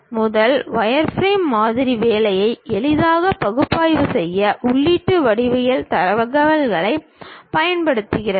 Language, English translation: Tamil, The first wireframe model are used as input geometry data for easy analysis of the work